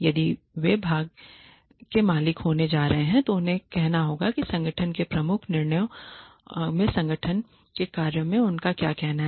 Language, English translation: Hindi, If they are going to be part owners they have to have a say they must have a say in how the organization functions and in the major decisions of the organization